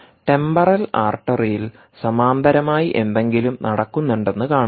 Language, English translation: Malayalam, temporal artery see, theres something going in parallel all the time